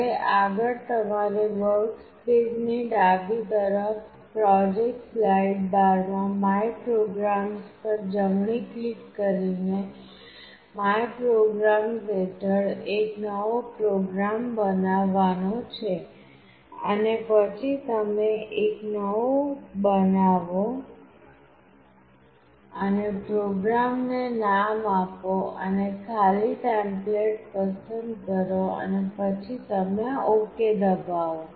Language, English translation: Gujarati, Next step is to create a new program under ‘my programs’ in the project slide bar to the left of the workspace by right clicking on MyPrograms, then you create a new one and name the program and choose an empty template and then you press ok